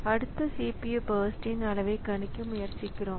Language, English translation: Tamil, So, we try to predict the size of the next CPU burst